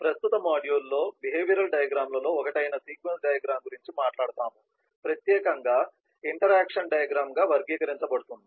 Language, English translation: Telugu, in the present module, we will talk about sequence diagram, which is one of the behavioural diagrams, specifically categorized as an interaction diagram